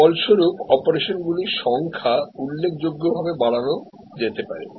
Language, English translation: Bengali, As a result, the number of operations could be enhanced significantly